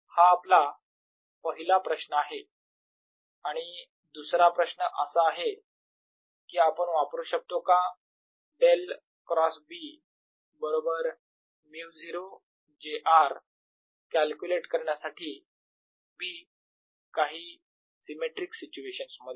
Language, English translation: Marathi, the other question we ask is: can we use del cross b is equal to mu, not j r to calculate b for certain symmetric situations